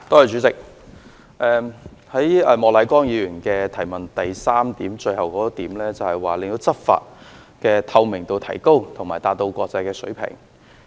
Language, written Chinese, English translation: Cantonese, 主席，莫乃光議員主體質詢的第三部分提到"令執法工作的透明度提高和達到國際水平"。, President to enhance the transparency of law enforcement efforts and enable such transparency to reach international standards is mentioned in part 3 of the main question asked by Mr Charles Peter MOK